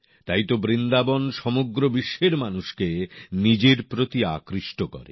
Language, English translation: Bengali, That is exactly why Vrindavan has been attracting people from all over the world